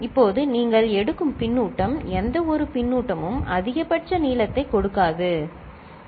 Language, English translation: Tamil, Now, it is to be noted that the feedback that you take any kind of feedback will not give maximal length, ok